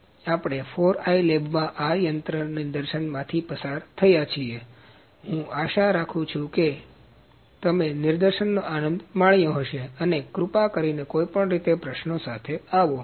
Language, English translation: Gujarati, We have gone through a demonstration of this machine in the 4i lab and I hope you have enjoyed the demonstration and please come up with the questions anyway